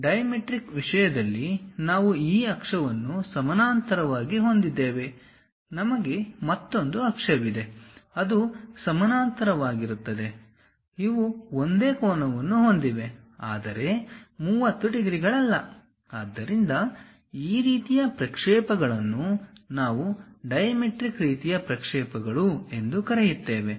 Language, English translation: Kannada, In the case of dimetric, we have this axis which is parallel; we have another axis that that is also parallel, these are having same angle, but not 30 degrees; so, this kind of things what we call dimetric kind of projections